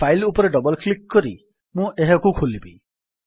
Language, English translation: Odia, Here is my file, now I double click it to open it